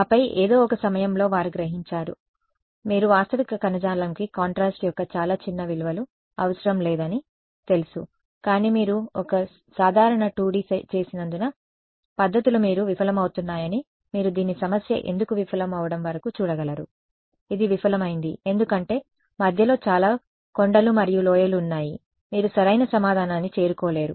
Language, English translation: Telugu, And then at some point they realized oh you know realistic tissue need not have very small values of contrast, but are methods are failing you can because you made a simple 2 D problem you can you can see this until why it is failing; its failing because there are so many hills and valleys in between that you are not able to reach the correct answer